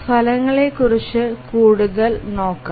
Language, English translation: Malayalam, Now let's look at further into the results